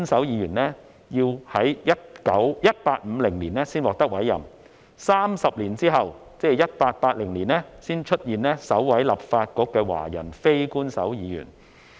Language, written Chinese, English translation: Cantonese, 要到1850年才委任首兩位非官守議員 ，30 年後才出現首位立法局的華人非官守議員。, The first two Unofficial Members were appointed in 1850 . It was not until 30 years later in 1880 that the first Chinese Unofficial Member was appointed